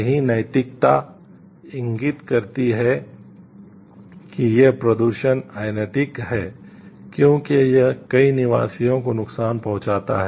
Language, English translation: Hindi, The right ethics indicates that this pollution is unethical since it causes harm to many of the residents